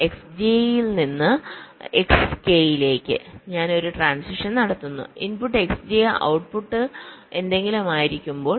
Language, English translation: Malayalam, so, from s i to s k, we make a transition when the input is x i and the output is z k